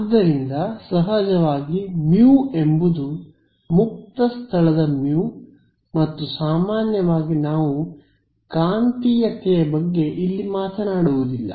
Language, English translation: Kannada, So, of course, mu is that of free space and in general we are not talking about magnetic material over here